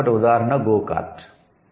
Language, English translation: Telugu, So the example is go kart